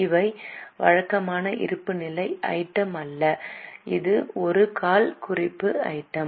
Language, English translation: Tamil, This is not a balance sheet item, it just comes as a footnote